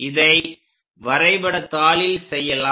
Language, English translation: Tamil, So, let us do that on the graph sheet